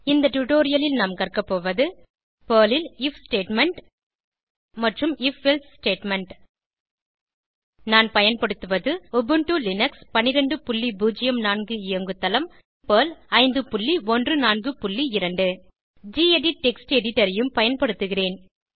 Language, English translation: Tamil, In this tutorial, we will learn about if statement and if else statement in Perl I am using Ubuntu Linux12.04 operating system and Perl 5.14.2 I will also be using the gedit Text Editor